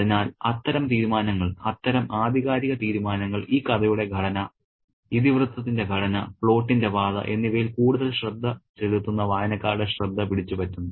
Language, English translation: Malayalam, So, such decisions, such authorial decisions gets the attention of the readers who pay greater attention to the structure of the story, structure of the plot trajectory plot pathway